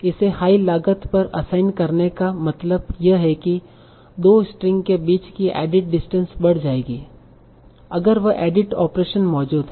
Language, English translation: Hindi, Assigning it a higher cost means that the added distance between the two strings will increase if that added operation is present